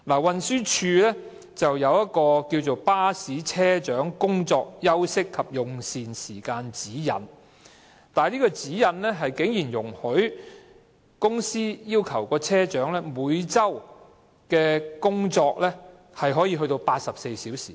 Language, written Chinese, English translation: Cantonese, 運輸署有一份"巴士車長工作、休息及用膳時間指引"，當中竟然容許公司要求車長每周工作多達84小時。, The Transport Department has issued Guidelines on Bus Captain Working Hours Rest Times and Meal Breaks in which bus companies are allowed to require bus captains to work as long as 84 hours a week